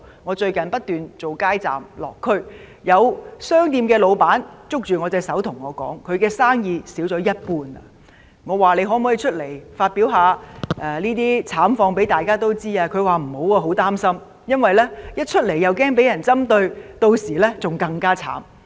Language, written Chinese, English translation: Cantonese, 我最近不斷做"街站"和"落區"的工作，有商店老闆捉住我的手對我說他的生意少了一半，我問他可否公開說出他的慘況，但他拒絕，因為他擔心會被針對，屆時便更慘。, Recently I have kept working at street booths and visiting the districts . Once a shop owner held my hand and told me that his business had dropped 50 % . I asked him if he could give an account of his plights openly but he refused fearing that he would be targeted and would hence suffer even more badly